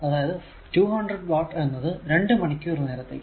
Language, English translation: Malayalam, So, 200 watt and it is for 2 hour